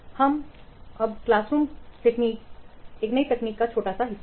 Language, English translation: Hindi, Also we will discuss something about relatively new technique called as clean room technique